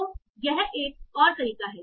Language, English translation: Hindi, So that is another approach